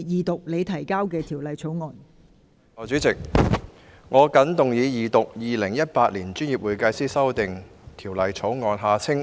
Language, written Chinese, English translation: Cantonese, 代理主席，我謹動議二讀《2018年專業會計師條例草案》。, President I move the Second Reading of the Professional Accountants Amendment Bill 2018 the Bill